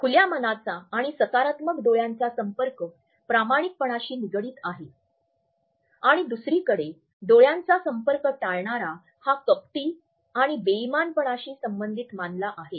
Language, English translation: Marathi, Open and positive eye contact is associated with honesty and on the other hand a poor in shifty eye contact is associated with deceit and dishonesty